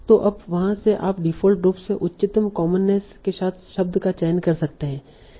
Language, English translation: Hindi, So now from there you can choose by default the sense with the highest commonness